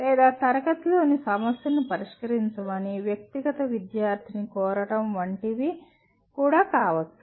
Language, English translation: Telugu, Or asking individual student to solve a problem in the class